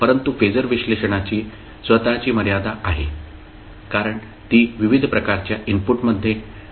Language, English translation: Marathi, But phasor analysis has its own limitations because it cannot be applied in very wide variety of inputs